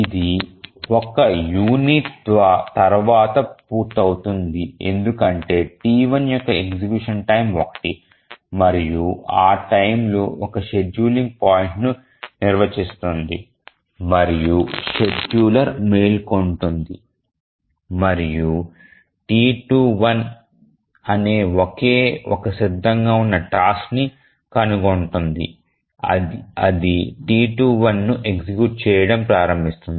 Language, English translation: Telugu, It completes after one unit because execution time of T1 is 1 and at that point defines a scheduling point and the scheduler will wake up and find that there is only one ready task which is T2 1 it will start executing T2 1